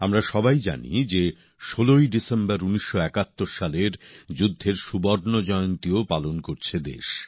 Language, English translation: Bengali, All of us know that on the 16th of December, the country is also celebrating the golden jubilee of the 1971 War